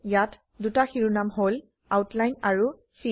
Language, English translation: Assamese, Here we have two headings: Outline and Fill